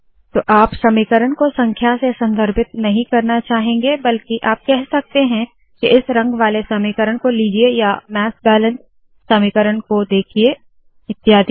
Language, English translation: Hindi, So you may not want to refer to an equation by numbers but you can say that consider the equation in blue or you may want to say that look at the mass balance equation and so on